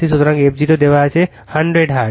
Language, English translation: Bengali, So, f 0 is given 100 hertz